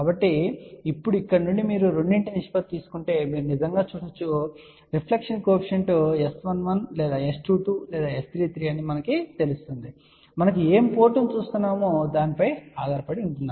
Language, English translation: Telugu, So, now, from here you can actually see that if we take the ratio of the two, so we know that reflection coefficient which is let us say S 11 or S 22 S 33 depending upon which port we are looking at